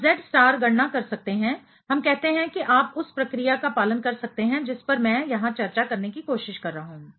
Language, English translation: Hindi, We can have Z star calculation; let us say you can follow the procedure I am trying to discuss over here